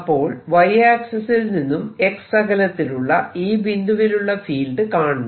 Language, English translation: Malayalam, i want to calculate the field at a distance x from the wire